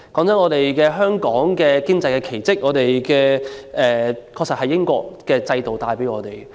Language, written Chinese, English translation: Cantonese, 坦白說，香港的經濟奇跡的確由英國留下的制度帶來。, Frankly speaking the economic miracle of Hong Kong was indeed due to the system left by the British administration